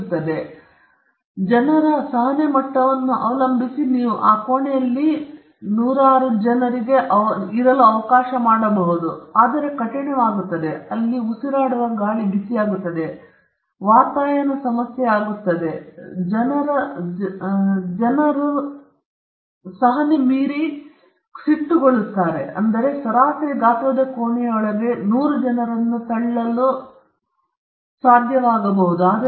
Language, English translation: Kannada, Now, at best and depending on the tolerance level of people, you could cramp in close to hundred people into that room; yes, it gets tough, the air gets hot, ventilation becomes a problem, but still if people’s tolerance limit is high, you may be able to push in hundred people into a room of a average size